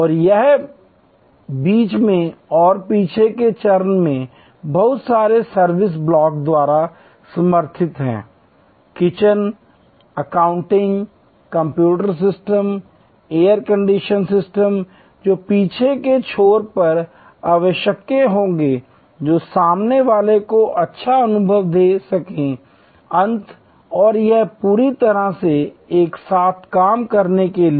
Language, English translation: Hindi, And it is supported by a whole lot of service blocks in the middle and at the back stage, the kitchen, the accounting, the computer system, air condition system all that will be necessary at the back end to give a good experience at the front end and this whole thing as to work together